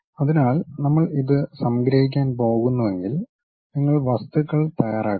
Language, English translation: Malayalam, So, if we are going to summarize this thing, you prepare the objects